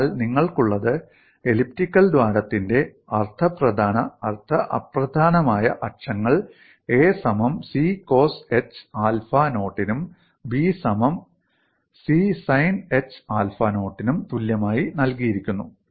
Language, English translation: Malayalam, So what you have is semi major and semi minor axes of the elliptical hole, are given as a equal to c cosh alpha naught and be equal to c sin h alpha naught